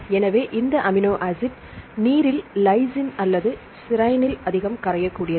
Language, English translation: Tamil, So, which amino acid is most soluble in water lysine or serine